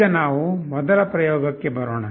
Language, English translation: Kannada, Now, let us come to the first experiment